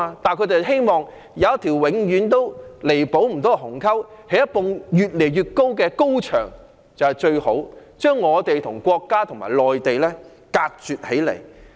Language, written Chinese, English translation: Cantonese, 但反對派希望有一條永遠不能填補的鴻溝，興建一道越來越高的高牆，把我們與國家和內地隔絕起來。, However the opposition camp wishes there is a gulf that can never be bridged and wants to build an increasingly tall wall to segregate us from the country and the Mainland